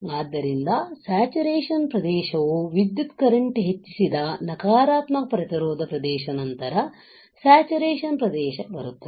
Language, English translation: Kannada, So, saturation region let us see after the negative resistance region which saw an increase in current comes the saturation region